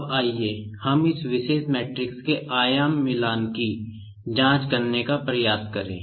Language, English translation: Hindi, Now, let us try to check the dimension matching of this particular matrix